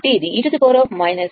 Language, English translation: Telugu, This is actually i 0 t